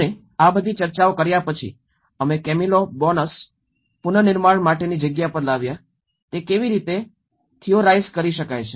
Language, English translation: Gujarati, And after having the discussions of all these, we brought to the Camilo Boanos, the reconstruction space, how it can be theorized